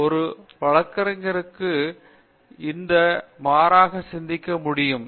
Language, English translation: Tamil, So, one can unconventionally think